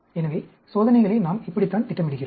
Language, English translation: Tamil, So, this is how we do plan the experiments